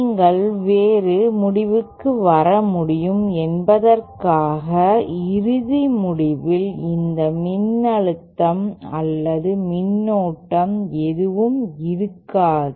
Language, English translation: Tamil, Just so that you can arrive at a different result the final results will not have any of these voltage or current